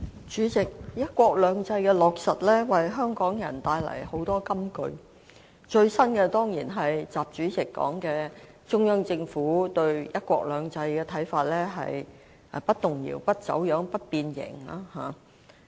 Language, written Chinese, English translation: Cantonese, 主席，"一國兩制"的落實，為香港人帶來很多金句，最新的當然是習主席說的中央政府對"一國兩制"的看法是"不動搖、不走樣、不變形"。, President the implementation of one country two systems has brought forth many well - known sayings for Hong Kong people . The latest one is certainly President XIs remark that the Central Governments view on one country two systems is that it should never be shaken distorted or deformed